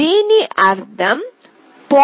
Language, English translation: Telugu, This means, for 0